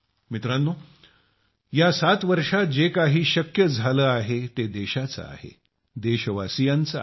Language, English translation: Marathi, Friends, whatever we have accomplished in these 7 years, it has been of the country, of the countrymen